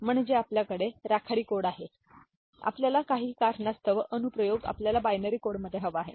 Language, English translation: Marathi, I mean we have gray code we want a binary code, right for some reason, for some you know application